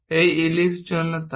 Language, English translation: Bengali, Why it is ellipse